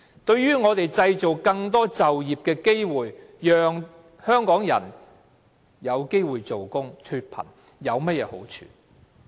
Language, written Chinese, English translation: Cantonese, 對製造更多就業機會，讓香港人有機會工作、脫貧，有甚麼好處？, How does it help create more job opportunities for Hong Kong people and alleviate poverty?